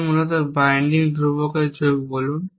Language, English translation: Bengali, So, basically say add of binding constants